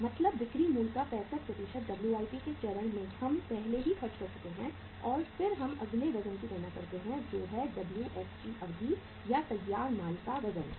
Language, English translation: Hindi, Means 65% of the selling price is uh is at the WIP stage we have already incurred and then we calculate the next weight that weight is Wfg duration of the or weight of the finished goods